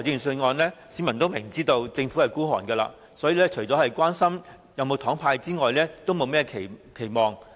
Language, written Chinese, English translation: Cantonese, 市民明知政府吝嗇，因此每年公布預算案時，除了關心會否"派糖"之外，也不敢有甚麼期望。, Aware of the Governments stinginess people no longer dare to have any expectation for the Budget delivered every year but care only about whether any sweeteners are to be handed out